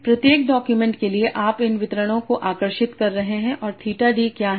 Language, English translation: Hindi, So for each document you are drawing these distributions and what are theta D